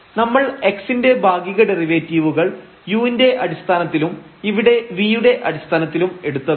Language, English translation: Malayalam, So, we will take here the partial derivatives of this f with respect to x and multiplied by the derivative of x with respect to t